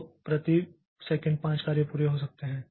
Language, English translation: Hindi, So, uh, per second there will be five jobs completed